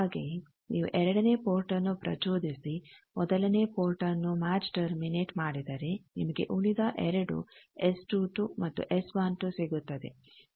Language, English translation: Kannada, Similarly, if you excite the second port and match, terminate the first port you get the other 2 S 22 and is 12